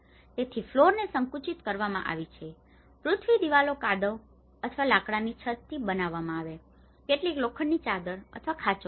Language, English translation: Gujarati, So, floors have been compressed earth, walls are made with mud or timber roofs, sometimes an iron sheet or thatch